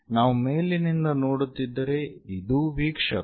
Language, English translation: Kannada, If we are looking from top, observer is this